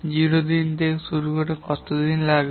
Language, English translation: Bengali, Starting from day zero, how many days it takes